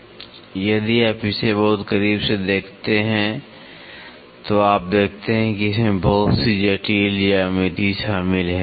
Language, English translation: Hindi, Now, you if you look it very closely you see there is lot of complex geometry which is involved